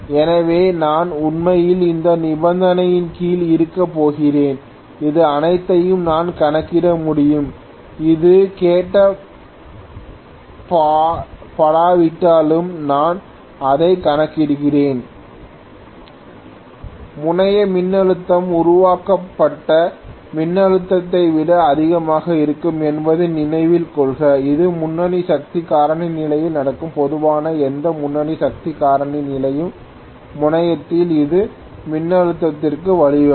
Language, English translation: Tamil, So here load voltage happens to be 5980 and this voltage happens to be 6351, if I am talking about generator, so this is what I am talking about divided by rated voltage, please note that the terminal voltage happens to be higher than the generated voltage which will happen under leading power factor condition, normally any leading power factor condition is going to give rise to a higher voltage at the terminal